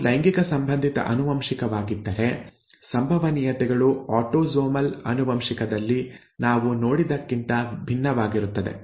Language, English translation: Kannada, If it is sex linked inheritance the probabilities would be different from what we have seen if they had been autosomal inheritance